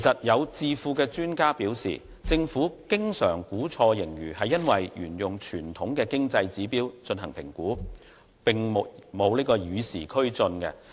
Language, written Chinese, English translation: Cantonese, 有智庫專家表示，政府經常估錯盈餘是因為沿用傳統的經濟指標進行評估，並沒有與時俱進。, According to some think tank experts the Government has been using traditional economic indicators in accessing its surplus and failed to keep abreast of the time which is the cause to its inaccurate assessment